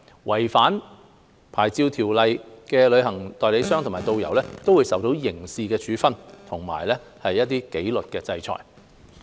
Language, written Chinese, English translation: Cantonese, 違反牌照條件的旅行代理商和導遊，會受到刑事處分及紀律制裁。, Any travel agent or tourist guide that breaches a licence condition will be subject to criminal penalties and disciplinary orders